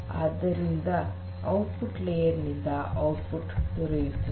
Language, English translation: Kannada, You can get the output from the output layer